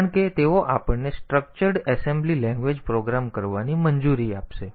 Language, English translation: Gujarati, they will allow us to have structured assembly language program